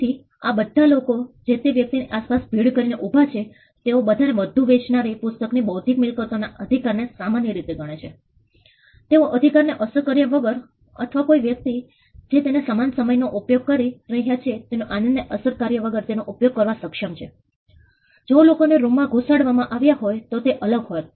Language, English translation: Gujarati, So, all the people who crowded around a person what a copy of a bestselling book equally enjoy the intellectual property right, they were able to use it without affecting the right or without affecting the enjoyment quotient of the other person to use it at the same time; which would have been different if people were crammed into a room